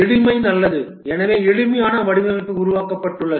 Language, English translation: Tamil, Simplicity is good and therefore the simplest design is developed